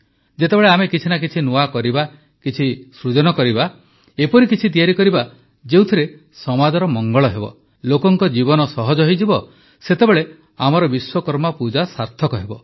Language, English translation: Odia, When we do something new, innovate something, create something that will benefit the society, make people's life easier, then our Vishwakarma Puja will be meaningful